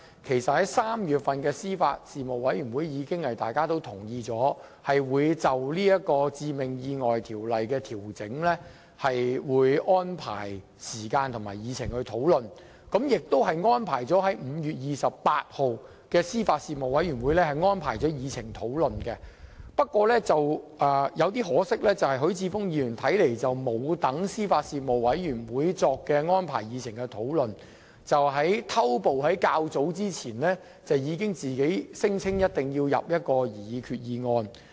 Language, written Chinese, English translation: Cantonese, 其實，在3月的司法及法律事務委員會上，委員已同意就討論修訂《致命意外條例》事宜作出相關的安排，並已訂於5月28日的司法及法律事務委員會會議議程上進行討論，但可惜許智峯議員並沒有耐心等候司法及法律事務委員會作出安排，反而搶先在較早前聲稱其本人定必會提出一項擬議決議案。, In fact at the meeting of the Panel held in March members had already agreed upon making relevant arrangements for proposing amendments to the Ordinance and relevant discussions were scheduled and included on the Panels meeting agenda of 28 May . Regrettably instead of waiting patiently for arrangements to be made by the Panel Mr HUI pre - empted the Government earlier on to claim that he would definitely move a proposed resolution